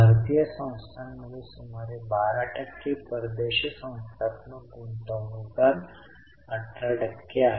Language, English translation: Marathi, Indian institutions have about 12 percent, foreign institutional investors, 18 percent